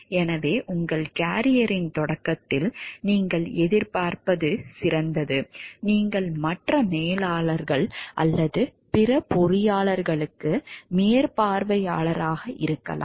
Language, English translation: Tamil, So, what best you can expect at the start of your carrier is the like, you can be a supervisor to other managers, or other engineers